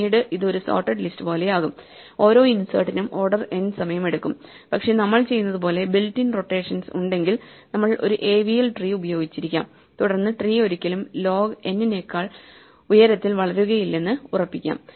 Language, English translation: Malayalam, Then it becomes like a sorted list and every insert will take order n time, but if we do have rotations built in as we do, we could be using an AVL tree then we can ensure that the tree never grows to height more than log n